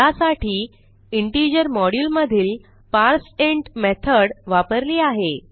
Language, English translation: Marathi, To do this we use the parseInt method of the integer module